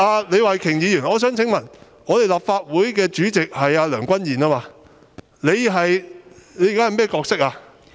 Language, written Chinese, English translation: Cantonese, 李慧琼議員，我想問，立法會主席是梁君彥，你現在的角色是甚麼？, Ms Starry LEE may I ask while the Legislative Council President is Andrew LEUNG Kwan - yuen what role are you playing now?